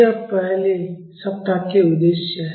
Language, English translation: Hindi, These are the objectives for the first week